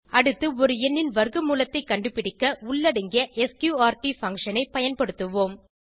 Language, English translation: Tamil, Next, lets use inbuilt sqrt function in a program to find square root of a number